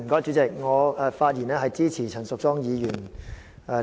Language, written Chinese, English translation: Cantonese, 主席，我發言支持陳淑莊議員的議案。, President I speak in support of Ms Tanya CHANs motion